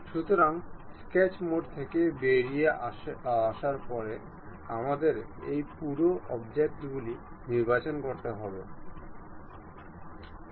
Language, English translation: Bengali, So, after coming out from sketch mode, we have to select this entire object